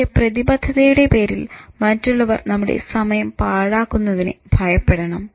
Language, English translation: Malayalam, But in the name of commitment, I actually fear wasting my time